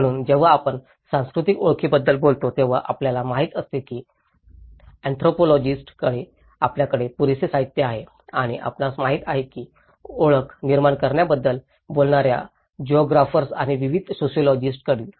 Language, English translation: Marathi, So, this all when we talk about cultural identity you know there is enough of literature we have from the anthropologist and you know, how from the geographers and various sociologists who talked about building the identity